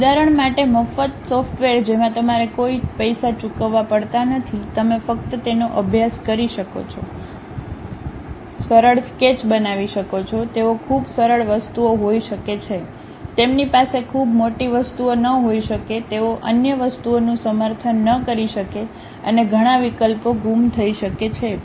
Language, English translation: Gujarati, Example free software you do not have to pay any money, you can just practice it, construct simple sketches, they might be very simple things, they might not have very big objects, they may not be supporting other things and many options might be missing, but still it is a good step to begin with that